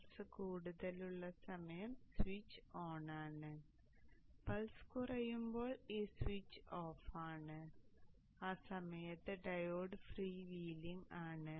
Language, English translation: Malayalam, The time when the pulse is high then the switch is on, the time when the pulses are low, the switch is off and during that time the diode is prevailing